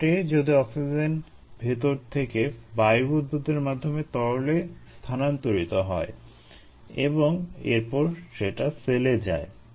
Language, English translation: Bengali, what happens is oxygen from inside the air bubble moves to the liquid and then moves to the cell